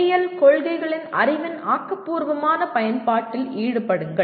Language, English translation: Tamil, Involve creative use of knowledge of engineering principles